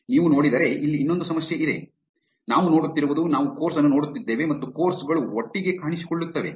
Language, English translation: Kannada, If you see, there is another problem here, what we are seeing is we are seeing course and courses appear together